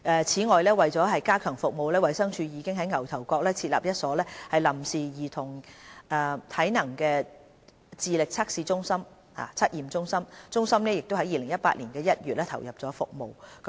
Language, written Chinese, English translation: Cantonese, 此外，為了加強服務，衞生署已在牛頭角設立一所臨時兒童體能智力測驗中心，中心已於2018年1月投入服務。, To strengthen the service DH has set up a temporary Child Assessment Centre CAC in existing facilities in Ngau Tau Kok which has already commenced operation in January 2018